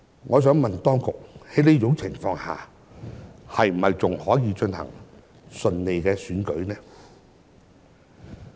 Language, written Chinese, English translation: Cantonese, 我想問當局，在這種情況下，選舉是否仍能順利進行呢？, I would therefore like to ask the Administration Is it still possible to have the election held smoothly under such circumstances?